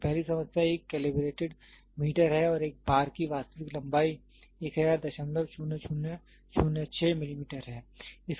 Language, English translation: Hindi, So, the first problem is a calibrated meter and a bar has an actual length of 1000